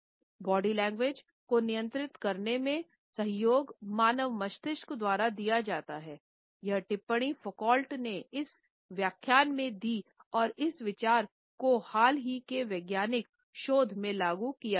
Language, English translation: Hindi, The association in controlling the body language to control the human mind has been commented on by Foucault in this lecture and we have already seen how this idea has been reinforced by recent scientific researches